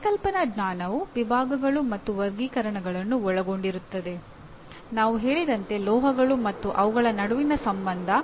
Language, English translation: Kannada, So here conceptual knowledge will include categories and classifications like we said metals and the relationship between and among them